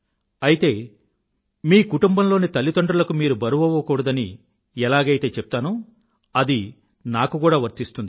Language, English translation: Telugu, Just as I advise your parents not to be burdensome to you, the same applies to me too